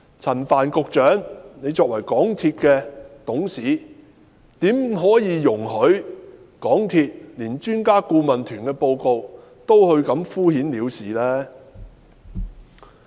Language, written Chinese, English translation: Cantonese, 陳帆局長作為港鐵公司的董事，怎可以容許港鐵公司對專家顧問團的報告也敷衍了事呢？, How can Secretary Frank CHAN as a Director on the MTRCL Board allow MTRCL to respond perfunctorily to the report issued by the Expert Adviser Team?